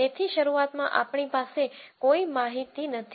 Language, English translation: Gujarati, So, right at the beginning we have no information